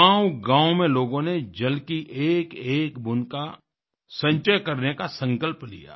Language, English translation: Hindi, People in village after village resolved to accumulate every single drop of rainwater